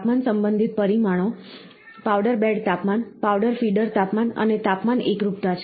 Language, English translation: Gujarati, Temperature related parameters are; powder bed temperature, powder feeder temperature and temperature uniformity